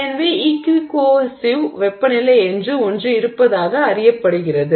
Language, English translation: Tamil, So, it is known that there is something called the equi cohesive temperature